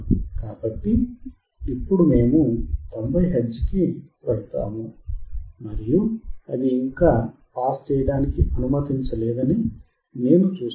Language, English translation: Telugu, So now, we go to 90 hertz, and I see it is still not allowing to pass